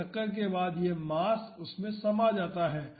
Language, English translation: Hindi, So, after impact this mass gets embedded into it